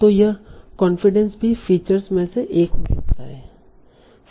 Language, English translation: Hindi, So this confidence can also be one of the features